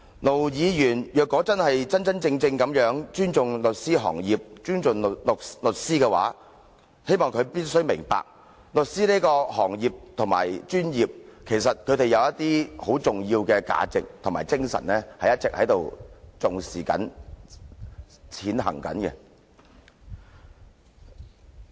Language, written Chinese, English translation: Cantonese, 盧議員如果真的尊重律師和律師行業，他必須明白，律師行業或專業一向重視並一直實踐一些十分重要的價值和精神。, If Ir Dr LO really respects lawyers and the legal profession he must understand that the legal profession has always emphasized and upheld some important values and spirits